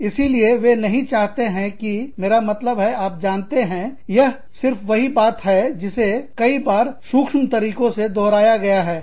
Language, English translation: Hindi, So, they do not want to, i mean, again, you know, this is just same point, repeated in several subtle ways